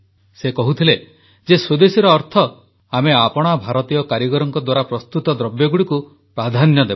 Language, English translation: Odia, He also used to say that Swadeshi means that we give priority to the things made by our Indian workers and artisans